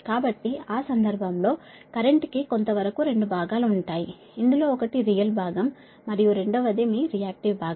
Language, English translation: Telugu, that to some extent that current has two component, right, your, this thing, that is one in real component, another is your reactive component